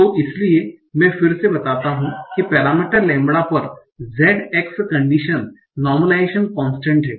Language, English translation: Hindi, So, ZX condition on the parameters lambda is a normalization constant